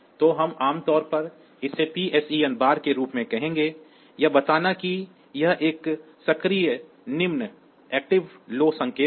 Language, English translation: Hindi, So, we will generally call it as PSEN bar; telling that this is a active low signal